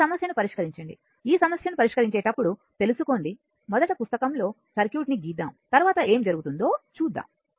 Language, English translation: Telugu, When you will solve this problem know all this problem when you will see this, first you will draw the circuit on your notebook after that you see what is happening right